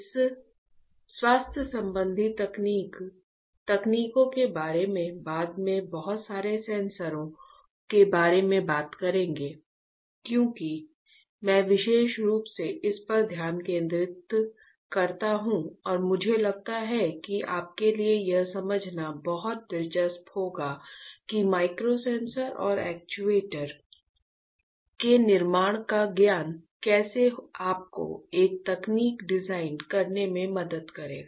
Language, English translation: Hindi, We will talk about lot of sensors later to healthcare technologies because, that is why I particularly focus in and I feel that it will be very interesting for you to understand how getting knowledge of fabrication of micro sensors and actuators will help you to design a technology that can be used in healthcare domain as well as in different applications